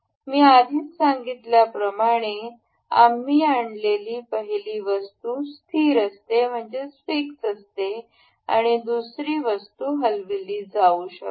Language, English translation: Marathi, As I have already told you the first item that we bring in remains fixed and the second item can be moved